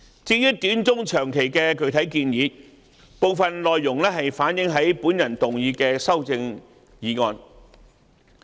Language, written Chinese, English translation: Cantonese, 至於短、中、長期的具體建議，部分內容可見於我動議的修正案。, As regards specific proposals for the short medium and long term some of the contents can be seen in the amendment proposed by me